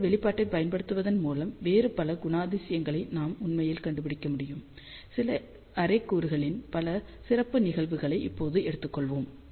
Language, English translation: Tamil, So, by using that expression, we can actually find out lot of other characteristics, let us now take some special cases of few element array